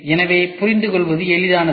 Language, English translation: Tamil, So, that it becomes easy for understanding